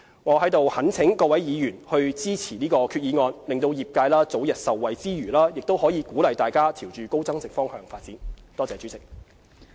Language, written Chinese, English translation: Cantonese, 我在此懇請各位議員支持這項決議案，讓業界早日受惠之餘，也鼓勵大家朝高增值方向發展。, I implore Members to support this resolution to enable the trade to reap early benefits from the measure and encourage it to move up the value chain